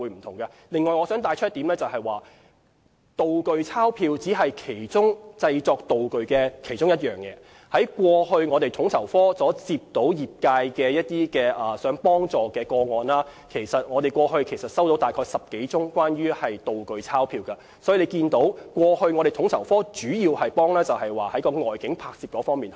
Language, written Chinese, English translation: Cantonese, 此外，我想指出，"道具鈔票"只是製作道具的其中一個項目，統籌科過往收到的業界查詢個案中，其實只收到10多宗是關於"道具鈔票"，可見統籌科過往主要是協調外境拍攝的工作。, Moreover I wish to point out that prop banknotes are only one segment of prop production . In the applications received from the industry by FSO only 10 - odd applications were about prop banknotes . It is thus evident that FSO has mainly been assisting the industry in conducting outdoor shooting